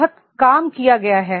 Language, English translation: Hindi, A lot of work has been done